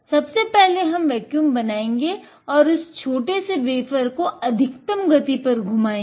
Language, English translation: Hindi, First, we will apply vacuum and we spin this little wafer at the maximum speed